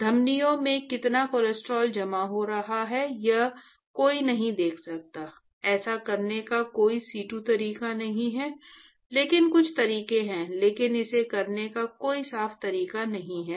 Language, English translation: Hindi, One cannot see how much cholesterol is being deposited in the arteries; there is no in situ way of doing that, but there are some ways now, but there is no clean way to do it